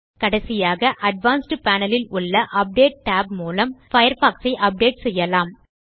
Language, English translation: Tamil, Lastly, we can update Firefox using the Update tab in the Advanced panel